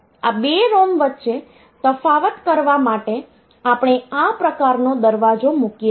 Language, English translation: Gujarati, So, for differentiating between these 2 ROMs, what we do we put this type of gate